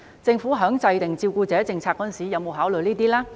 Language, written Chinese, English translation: Cantonese, 政府在制訂照顧者政策時有否考慮這些因素呢？, Has the Government considered these factors in formulating the carer policy?